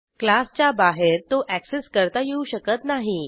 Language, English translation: Marathi, It cannot be accessed outside the class